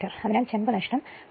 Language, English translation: Malayalam, So, copper loss will be 12